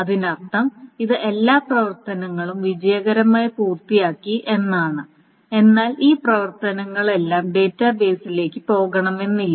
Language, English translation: Malayalam, That means it has successfully completed all the operations, but all these operations may not have gone to the database